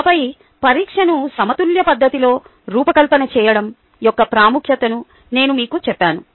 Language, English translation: Telugu, and then i told you, ah, the importance of designing the examination in a balanced fashion